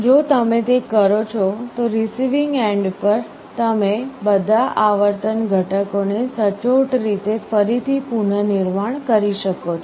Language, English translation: Gujarati, If you do that, then at the receiving end you can reconstruct all the frequency components accurately